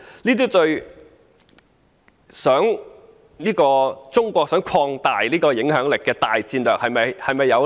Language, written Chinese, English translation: Cantonese, 這對中國擴大影響力的大戰略是否有利呢？, Is this conducive to Chinas general strategy of expanding its influence?